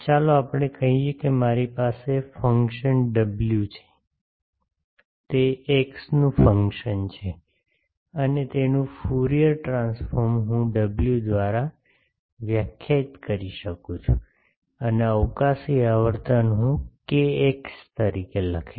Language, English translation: Gujarati, Let us say that I have a function w, it is a function of x, and its Fourier transform I can define by W and the spatial frequency I will write as kx